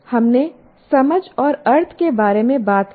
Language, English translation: Hindi, We have talked about sense and meaning